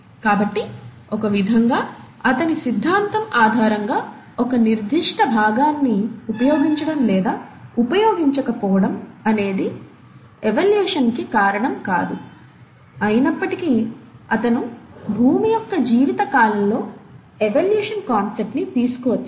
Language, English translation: Telugu, So in a sense, his theory based on use or disuse of a particular part was not the reason for evolution, though he did bring in the concept of evolution during the course of life, and in the course of earth’s life